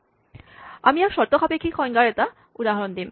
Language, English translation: Assamese, Here is an example of a conditional definition